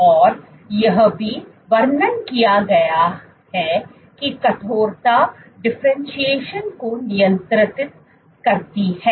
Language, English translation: Hindi, And it has also been described the stiffness regulates differentiation